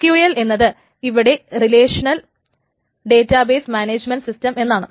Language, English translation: Malayalam, So SQL stands for the relational database management system, so the RDMIMS